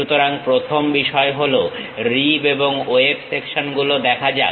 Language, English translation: Bengali, So, the first thing, let us look at rib and web sections